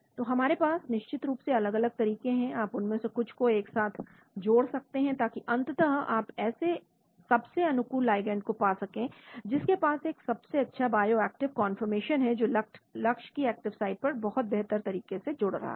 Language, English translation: Hindi, So we have different approaches of course you can combine some of them together, so that ultimately you end up with the most favorable ligand, which has a best bioactive conformation which binds very optimally to the active site of the target